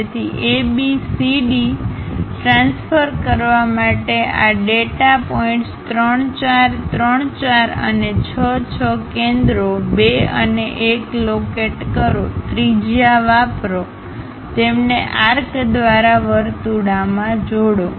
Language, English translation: Gujarati, So, construct AB CD transfer these data points 3 4 and 5 6 locate centers 2 and 1, use radius, join them as circles through arcs